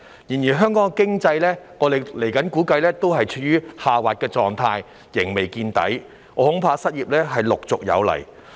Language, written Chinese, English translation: Cantonese, 然而，我們估計香港經濟仍處於下滑狀態，仍未見底，我恐怕失業陸續有來。, However we estimate that the Hong Kong economy will still be declining and has yet to hit rock bottom . I am afraid that unemployment will keep rising